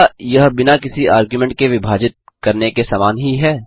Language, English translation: Hindi, Is it same as splitting without an argument